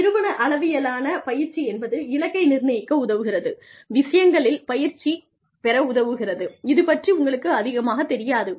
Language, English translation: Tamil, Organizational level training, helps goalsetting, helps training in things, that you do not know, very much about